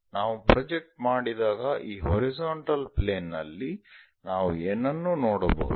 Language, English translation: Kannada, When we are projecting what we can see is on this horizontal plane